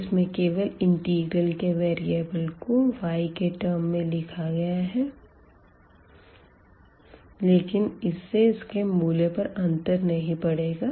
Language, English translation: Hindi, So, just the integral variable changes name to y now, but does not matter the value will be the same